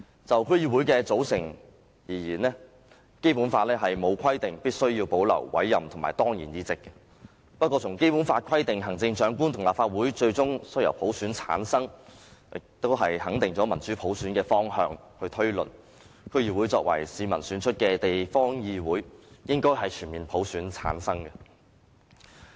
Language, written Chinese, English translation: Cantonese, 就區議會的組成而言，《基本法》沒有規定必須要保留委任和當然議席，不過，《基本法》規定行政長官和立法會最終須由普選產生，肯定了民主普選的方向，以此推論，區議會作為市民選出的地方議會，應該全面由普選產生。, As regards the composition of DCs the Basic Law carries no provision for the retention of appointed and ex - officio seats . However the Basic Law requires that the Chief Executive and the Legislative Council shall ultimately be selected by universal suffrage giving recognition to the direction of democracy and universal suffrage from which it can be deduced that DCs as local councils elected by the people should be returned by universal suffrage as well